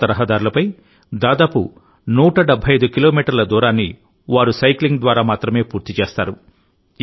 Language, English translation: Telugu, These people will complete this distance of about one hundred and seventy five kilometers on mountain roads, only by cycling